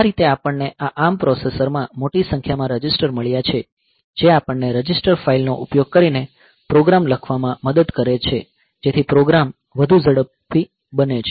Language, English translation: Gujarati, So, that way we have got a large number of registers in this ARM processor that helps us to write programs you using the register file that the programs will be faster